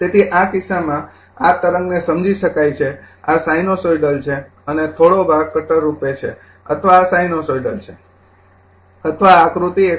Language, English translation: Gujarati, So, in this case you are this is understand the wave, this is sinusoidal and little bit as portion as cutter or this is sinusoidal or this is figure 1